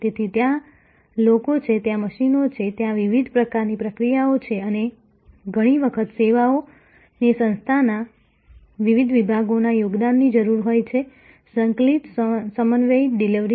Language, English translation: Gujarati, So, there are people, there are machines, there are different types of processes and often services need contribution from different departments of an organization, coordinated synchronized delivery